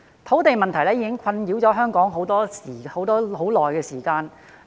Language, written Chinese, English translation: Cantonese, 土地問題已經困擾香港多時。, The land shortage problem has been plaguing Hong Kong for a long time